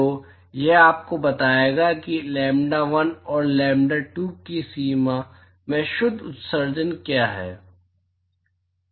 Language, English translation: Hindi, So, that will tell you what is the net emission in the range lambda1 and lambda2